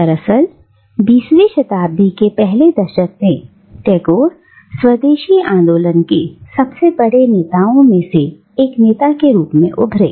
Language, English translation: Hindi, Indeed, in the first decade of the 20th century, Tagore emerged as one of the tallest leaders of the Swadeshi movement